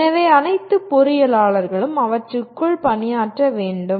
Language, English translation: Tamil, So all engineers are required to work within them